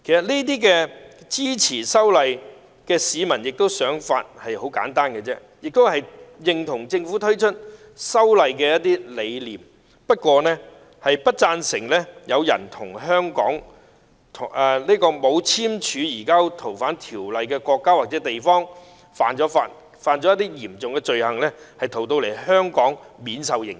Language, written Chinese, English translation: Cantonese, 其實，支持修例市民的想法很簡單，就是認同政府推出修例的理念，不贊成有人在現時沒有與香港簽署移交逃犯協議的國家或地方犯了嚴重罪行後，再逃到香港免受刑責。, Actually the views of the citizens who support the proposed legislative amendments were very simple . They agreed with the Government over its rationale for proposing the legislative amendments . They were opposed to allowing people who commit serious crimes in countries or regions that have not signed surrender of fugitive offenders agreements with Hong Kong to flee to Hong Kong to escape punishment